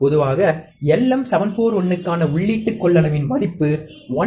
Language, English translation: Tamil, Typically, the value of input capacitance for LM741 is 1